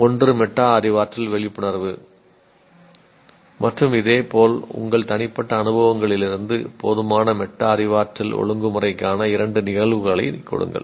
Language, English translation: Tamil, One is metacognitive awareness and similarly give two instances of inadequate metacognitive regulation from your personal experiences